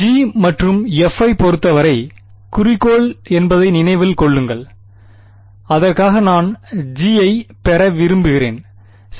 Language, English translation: Tamil, Remember objective is phi in terms of G and f that is what I want for that I want G right